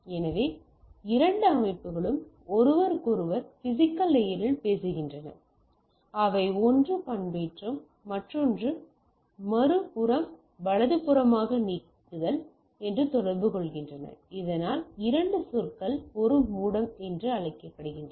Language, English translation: Tamil, So, the two system talks each other at the physical layer itself they communicate that one is modulation another is demodulation at the other end right so that two terms we is called it is as a modem